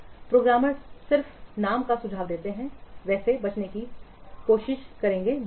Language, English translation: Hindi, The programmers, as name suggests, they will try to avoid the defects